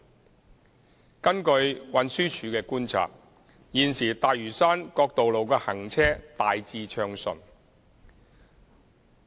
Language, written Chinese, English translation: Cantonese, 二及三根據運輸署觀察，現時大嶼山各道路的行車大致暢順。, 2 and 3 According to the observations of TD at present traffic flow on the roads on Lantau Island is smooth in general